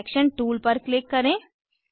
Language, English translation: Hindi, Click on the Selection tool